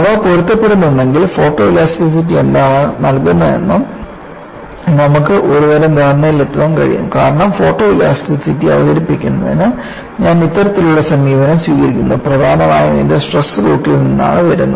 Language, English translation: Malayalam, If they match, then we can come to certain kind of an understanding what photoelasticity gives because I take this kind of an approach for introducing photoelasticity; mainly because it comes from the stress route